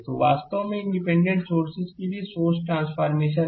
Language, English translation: Hindi, So, this is actually source transformation for independent sources